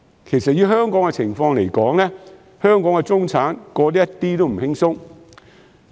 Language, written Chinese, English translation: Cantonese, 其實，以香港的情況來說，中產過得一點也不輕鬆。, In fact in the case of Hong Kong life of the middle class is not easy at all